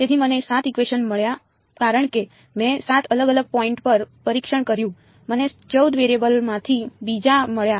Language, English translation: Gujarati, So, I got 7 equations because I tested at 7 different points I got another of 14 variables